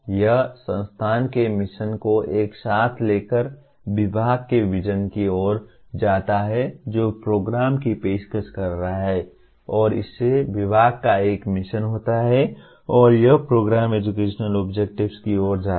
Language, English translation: Hindi, It leads to mission of the institute together lead to vision of the department which is offering the program and that leads to a mission of the department and this leads to Program Educational Objectives